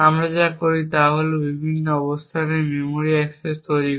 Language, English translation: Bengali, The next thing we do is create memory accesses to various locations